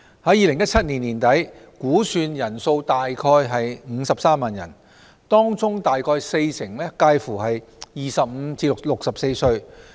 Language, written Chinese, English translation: Cantonese, 在2017年年底，估算人數約53萬人，當中約四成介乎25歲至64歲。, As at end - 2017 the estimated number of such persons was around 530 000 among which about 40 % were aged between 25 and 64